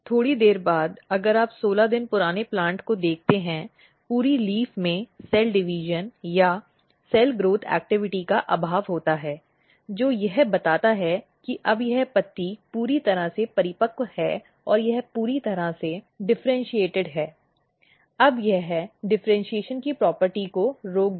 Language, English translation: Hindi, Slightly more later if you look 16 days old plant the entire leaf they lack the cell division or cell growth activity; which suggest that now this leaf is fully mature it is fully differentiated now it will stop the property of differentiation